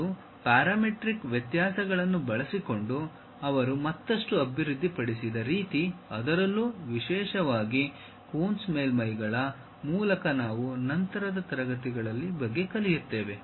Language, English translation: Kannada, And, the way they developed further using parametric variations, especially by Coons way of surfaces which we will learn about later classes